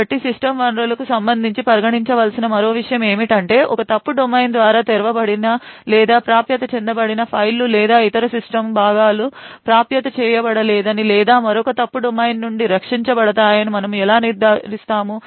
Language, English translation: Telugu, to the system resources how would we ensure that files or other system components which are opened or accessed by one fault domain is not accessed or is protected from another fault domain